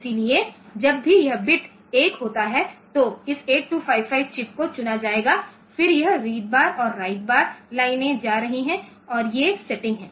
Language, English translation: Hindi, So, this 8255 chip will be selected, then this read bar and write bar lines are going and these are the setting